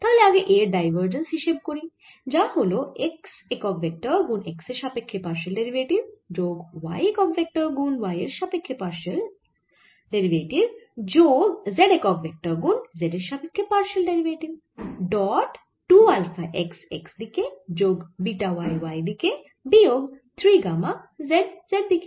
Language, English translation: Bengali, so let us take divergence of a, which is x unit vector, partial with respect to x, plus y unit vector, partial with respect to y, plus z unit vector, partial with respect to z, dotted with two alpha, x, x, plus beta y, y, minus three gamma z z, which is equal to take the partial derivatives with respect to x of x component only